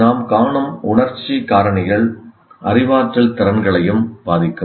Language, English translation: Tamil, For example, there are emotional factors that we see will also influence our cognitive abilities